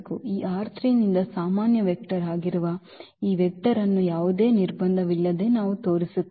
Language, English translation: Kannada, We will show that this vector which is a general vector from this R 3 without any restriction